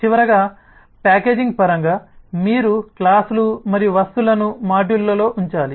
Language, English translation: Telugu, finally, in terms of packaging, you have to put the classes and objects in modules